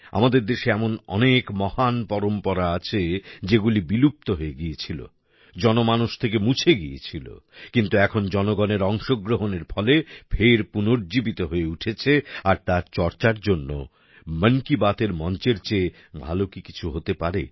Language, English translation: Bengali, There are many such great traditions in our country which had disappeared, had been removed from the minds and hearts of the people, but now efforts are being made to revive them with the power of public participation, so for discussing that… What better platform than 'Mann Ki Baat'